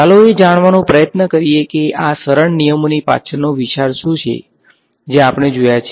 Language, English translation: Gujarati, Let us try to find out what is the underlying idea behind these simple rules that we have seen